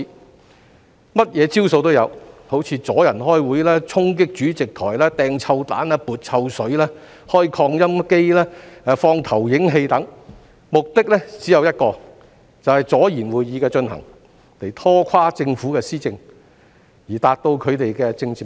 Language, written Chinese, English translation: Cantonese, 他們甚麼花招也有，好像阻礙開會、衝擊主席、扔臭彈、潑臭水、開擴音機、放投影器等，這些行為的目的只有一個，就是阻延會議的進行，拖垮政府的施政，以達到他們的政治目的。, They got all kinds of tricks such as obstructing meetings storming the Presidents podium hurling stink bombs splashing smelly liquid as well as turning on loudspeakers and projectors . They did all that with only one purpose namely to obstruct the proceedings of meetings and sabotage the Governments policy administration in a bid to achieve their political goals